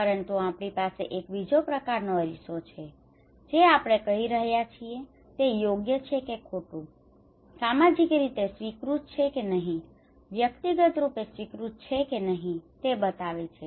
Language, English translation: Gujarati, But we have another kind of mirror that we want to that what we are doing is right or wrong, socially accepted or not, individually accepted or not